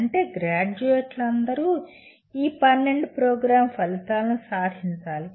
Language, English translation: Telugu, That means all graduates will have to attain these 12 Program Outcomes